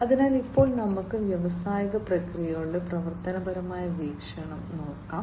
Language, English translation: Malayalam, So, now let us look at the functional viewpoint of industrial processes